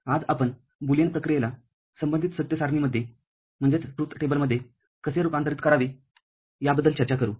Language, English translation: Marathi, Today we shall discuss how to convert a Boolean function to corresponding truth table